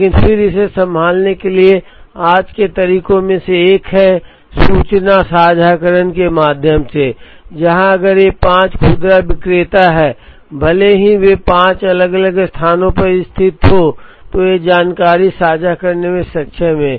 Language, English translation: Hindi, But then one of the ways of handling today to enable this is, through information sharing, where if these five retailers even though they are located in five different places, they are able to share information